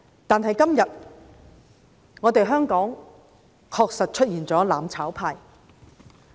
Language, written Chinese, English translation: Cantonese, 但是今天，香港確實出現了"攬炒派"。, But today it is true that the mutual destruction camp has emerged in Hong Kong